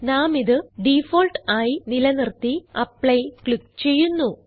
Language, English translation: Malayalam, I will keep it as Default and click on Apply